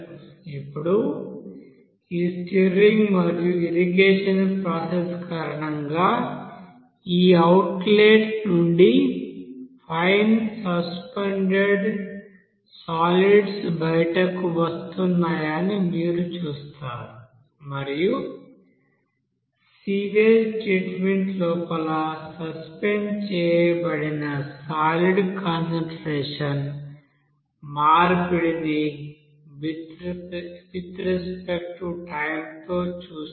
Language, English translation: Telugu, Now because of this stirring and irrigation process you will see that fine suspended solids you know that it will be you know coming out from this outlet and there you will see there exchange of concentration of that suspended solids inside the sewage treatment will be there with respect to time that will change